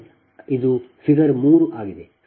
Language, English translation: Kannada, so this is the figure three